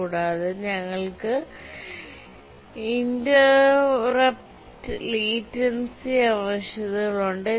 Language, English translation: Malayalam, And also we have interrupt latency requirements